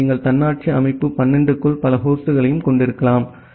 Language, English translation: Tamil, So, you can have multiple host inside autonomous system 12